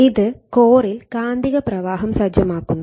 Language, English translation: Malayalam, And your which sets up in magnetic flux in the core